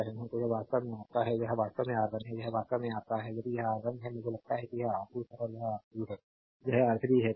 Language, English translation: Hindi, So, this is actually your this is actually your R 1 this is actually your if it is R 1 I think this is R 2 and this is R 3 yeah this is R 3 ; so, right